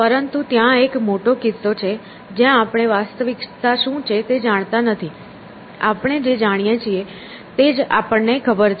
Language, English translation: Gujarati, But there is a big case in that you know we do not know what is reality; we only know what we know essentially